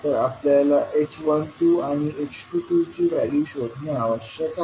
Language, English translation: Marathi, We need to find out the values of h12 and h22